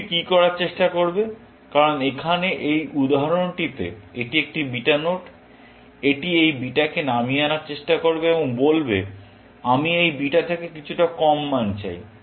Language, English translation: Bengali, What will the node try to do, because this example here, it is a beta node; it is going to try to pull down this beta and say, I want a value slightly, lower than this beta